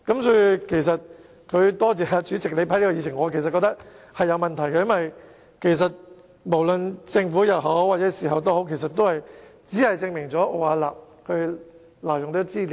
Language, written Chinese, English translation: Cantonese, 他應該多謝主席批准他提出這項議案，但我認為其實有問題，因為政府事後也只能證明奧雅納挪用資料。, He should have thanked the President for granting him permission to propose this motion . Nevertheless I consider it actually problematic because the Government can only prove the illegal use of information by Arup afterwards